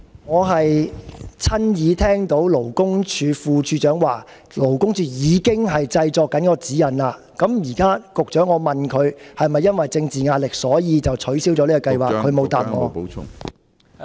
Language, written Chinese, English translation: Cantonese, 我是親耳聽到勞工處副處長表示，勞工處正在製作相關指引，我問局長現在是否因為政治壓力而取消了這個計劃，他沒有回答。, I heard in person the Deputy Commissioner for Labour say that LD was preparing the relevant guidelines . I asked the Secretary whether the plan was now cancelled due to political pressure but he has not answered that